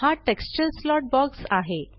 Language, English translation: Marathi, This is the texture slot box